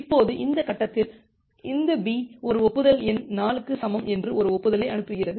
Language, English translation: Tamil, Now at this stage, this B, it sends an acknowledgement saying that acknowledgement number equal to 4